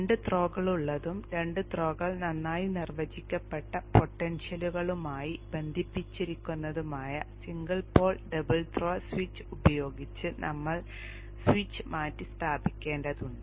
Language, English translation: Malayalam, We have to replace this switch with a single pole double throw switch where there are two throws and both the throws are connected to well defined potential